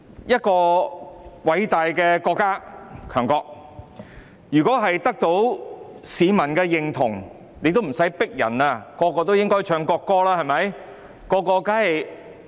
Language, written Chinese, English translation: Cantonese, 一個偉大的國家、強國，如果得到市民認同，大家不用強迫自然便會唱國歌，對嗎？, If a great and powerful country is recognized by its people everyone will sing the national anthem voluntarily right?